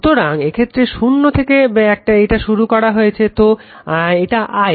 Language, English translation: Bengali, So, if in this case this is starting from 0 so, it is your I right